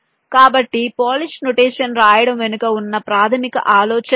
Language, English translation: Telugu, so this is the basic idea behind writing a polish expression